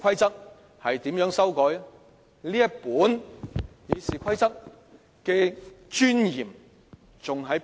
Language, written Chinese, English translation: Cantonese, 這本《議事規則》的尊嚴何在？, Where is the dignity of this book of Rules of Procedure?